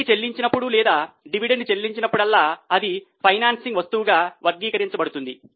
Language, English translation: Telugu, Whenever interest is paid or dividend is paid, it will be categorized as a financing item